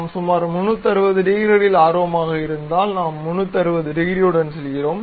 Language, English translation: Tamil, If we are interested about 360 degrees, we go with 360 degrees